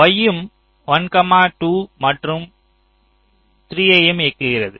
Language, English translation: Tamil, y is also driving one, two and three